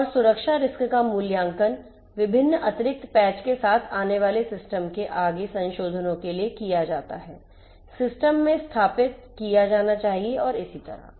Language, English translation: Hindi, And also the security risks are evaluated for further modifications of the system coming up with different additional patches to be implemented, to be installed in the system and so on